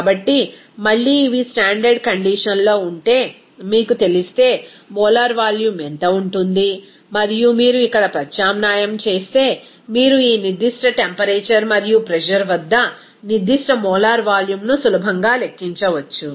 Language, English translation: Telugu, So, if again, these are at a standard condition, what would be the molar volume if you know and if you substitute here, then you can easily calculate what should be the specific molar volume at this particular temperature and pressure